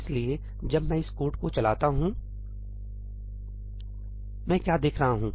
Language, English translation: Hindi, So, when I run this code, What do I see